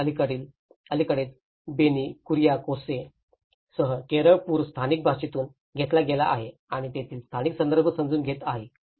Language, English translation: Marathi, And the recent Kerala floods with Benny Kuriakose have derived in the local language, understanding the local context of it